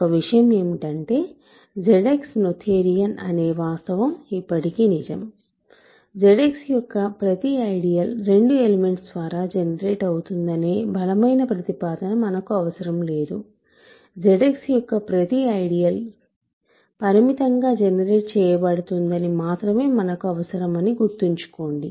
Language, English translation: Telugu, Remember that, the fact that Z X is noetherian is still true, we do not need this stronger statement that every ideal of Z X is generated by 2 elements, we only need this statement that every ideal of Z X is finitely generated